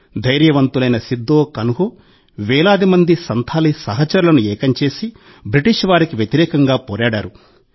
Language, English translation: Telugu, Veer Sidhu Kanhu united thousands of Santhal compatriots and fought the British with all their might